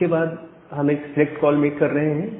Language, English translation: Hindi, After that we are making a select call